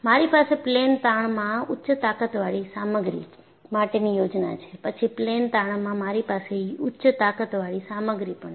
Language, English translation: Gujarati, And, I have this for high strengths material in plane strain, then I have high strength material in plane stress